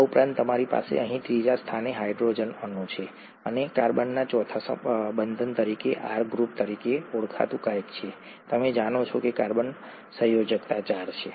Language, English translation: Gujarati, In addition you have a hydrogen atom here at the third and something called an R group as the fourth bond of the carbon, you know that carbon valency is four